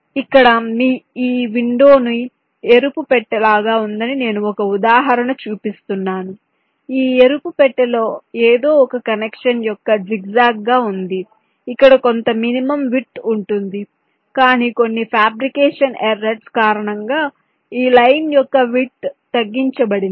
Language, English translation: Telugu, this red box has a something like this say: ah, zigzag kind of a connection where some minimum width is expected, but due to some fabrication error, the width of this line has been reduced